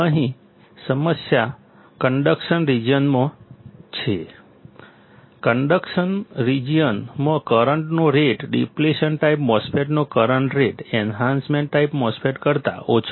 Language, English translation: Gujarati, Here, the problem is in the conduction region; in the conduction region the rate of current, the current rate of a depletion type MOSFET; the current rate of an Depletion type MOSFET is slower than Enhancement type MOSFET